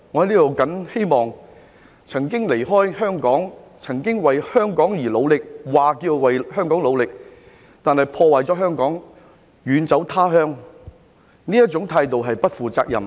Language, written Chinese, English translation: Cantonese, 那些曾經離開香港、曾經為香港而努力——是聲稱為香港努力，但卻破壞了香港，然後遠走他鄉的人，這種態度是不負責任。, We can have a future only if we understand history and discern what is going on at present . For those who have left Hong Kong those who have worked for the good of Hong Kong―It should be those who claim to work for the good of Hong Kong but have fled abroad after destroying Hong Kong such an attitude is irresponsible